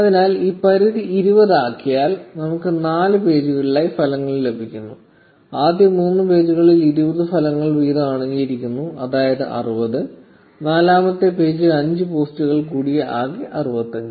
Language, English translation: Malayalam, So, if we set the limit to 20, we will get results in four pages, the first three pages containing 20 results each, that is 60, and the fourth page containing five posts, totaling to 65